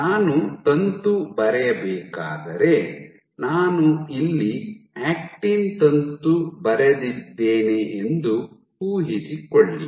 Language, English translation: Kannada, So, if I were to draw filament, imagine I have drawn an actin filament